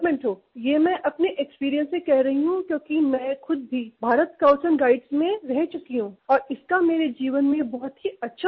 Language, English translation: Hindi, I state this from my own experience because I have served in the Bharat Scouts and Guides and this had a very good impact upon my life